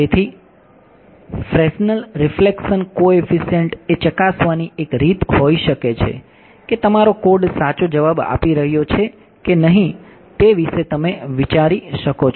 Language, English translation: Gujarati, So, Fresnel reflection coefficients this can be one way of testing whether your code is giving the correct answer any other solutions you can think of